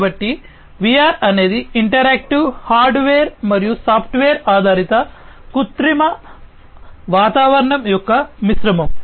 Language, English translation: Telugu, So, VR is a mixture of interactive hardware and software based artificial environment, right